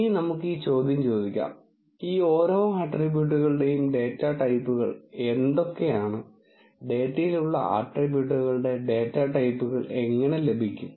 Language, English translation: Malayalam, Now, let us ask this question what are the data types of each of these attributes, how one get the data types of the attributes that are there in the data